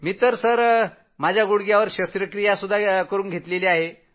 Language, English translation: Marathi, I have earlier undergone a knee surgery also